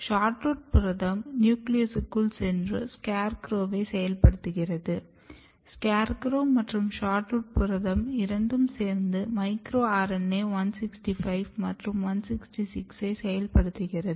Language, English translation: Tamil, And in endodermis it get nuclear localized and once the SHORTROOT protein enters inside the nucleus, it activates SCARECROW; and SCARECROW and SHORTROOT protein they together activate micro RNA micro RNA 165, 166